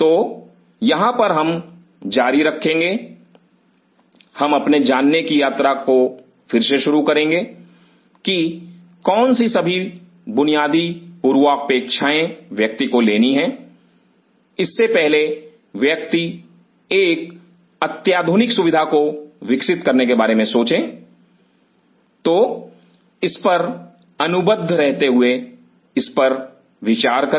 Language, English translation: Hindi, So, close in here we will continue, we will resume our journey of understanding what all basic prerequisites one has to take before one think of developing one of the state of the art facility so bonded upon it think over it